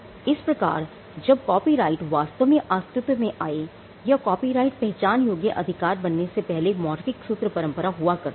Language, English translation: Hindi, So, before copyright actually came into existence or before copyright became a recognizable right, there was the oral formulaic tradition